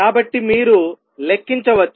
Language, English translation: Telugu, So you can do a little calculation